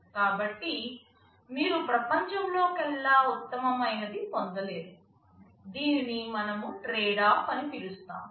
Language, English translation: Telugu, So, you cannot have best of all worlds; this is something we refer to as tradeoff